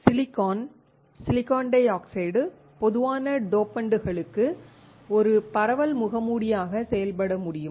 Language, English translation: Tamil, The silicon dioxide can act as a diffusion mask for common dopants